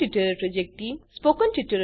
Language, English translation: Gujarati, The Spoken Tutorial Project Team